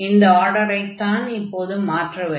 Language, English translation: Tamil, So, the order will be change